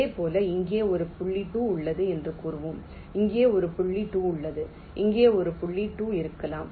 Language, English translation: Tamil, similarly, lets say there is a point two here, there is a point two here may be there is a point two here